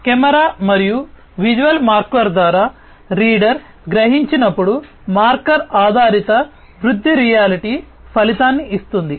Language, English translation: Telugu, Marker based augmented reality gives an outcome when the reader is sensed by the camera and the visual marker